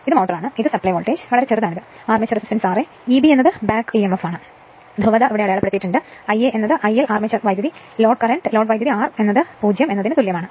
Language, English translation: Malayalam, And this is your what you call this is your motor, this is the supply voltage, this is the armature resistance r a which is very small, E b is the back emf, polarity is marked as here I a is equal I l armature current is equal to load current r is equal to 0 at running condition